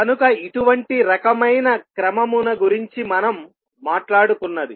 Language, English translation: Telugu, So, that is the kind of orders we talking about